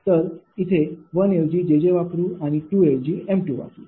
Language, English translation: Marathi, so put is: replace one by jj and replace two by m two